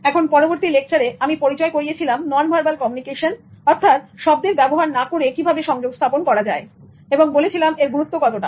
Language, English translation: Bengali, Now in the next lecture I introduced non verbal communication as well as I talked about the importance of non verbal communication